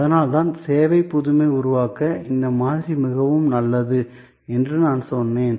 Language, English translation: Tamil, So, that is why I said that this model is very good to create service innovation